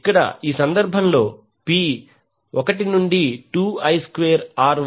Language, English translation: Telugu, So here in this case, P will be 1 by to 2 I square R